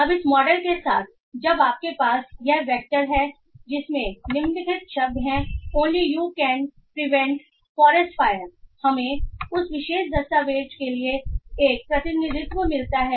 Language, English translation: Hindi, Now with this model when you have this vector that has the following words only you can prevent forest fires we get a representation for that particular document